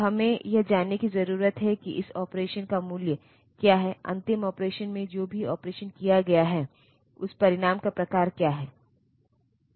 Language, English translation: Hindi, So, we need to know what is the value of this operation that has been done, in the last operation whatever operation has been done, what is the result of that the type of the result